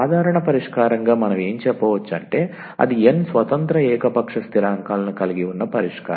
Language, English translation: Telugu, So, what do we call as the general solution it is the solution containing n independent arbitrary constants